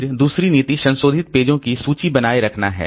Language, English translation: Hindi, Then another policy is to maintain a list of modified pages